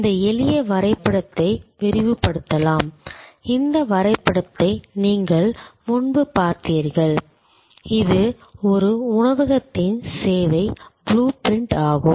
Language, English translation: Tamil, This simple diagram can be elaborated, which you have seen this diagram before, which is the service blue print of a restaurant